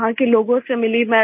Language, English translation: Hindi, I met people there